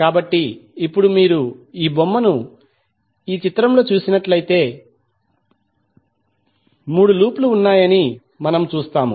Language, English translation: Telugu, So now if you see this figure in this figure, we see there are 3 loops